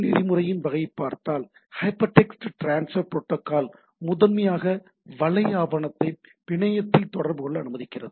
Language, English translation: Tamil, So, if we look at our HTTP type of protocol, then what we see it is a Hypertext Transfer Protocol allows primarily allows web document to be communicated over the network